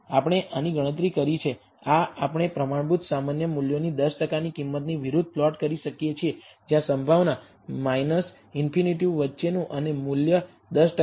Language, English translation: Gujarati, We have computed this, this we can plot against the standard normal values 10 percent value where the probability, between minus infinity and the value is 10 percent